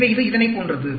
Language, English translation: Tamil, So, these are the patterns